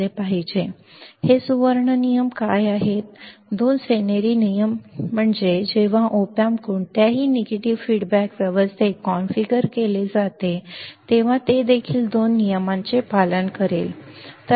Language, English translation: Marathi, What are these golden rules there are two golden rules ok, golden rules two golden rules when op amp is configured in any negative feedback arrangement it will obey the following two rules